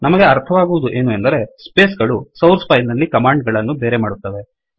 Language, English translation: Kannada, Thus we see that spaces separate commands in the source file